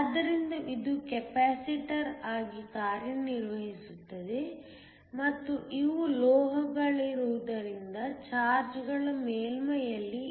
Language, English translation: Kannada, So, this acts as a capacitor and since these are metals the charges will reside on the surface